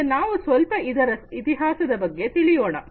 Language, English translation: Kannada, So, let us now go through the history a bit